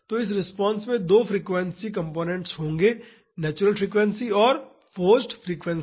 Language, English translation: Hindi, So, this response will have two frequency components the natural frequency and the forcing frequency